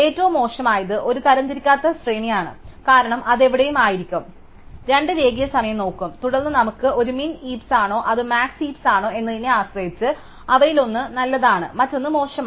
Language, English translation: Malayalam, The worst is an unsorted array, because it will be anywhere and both require linear time and then depending on whether we have a min heap or the max heap, one of them is good and the other one is bad